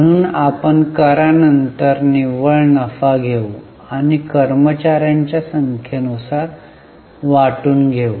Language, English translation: Marathi, So, please take net worth and divided by number of shares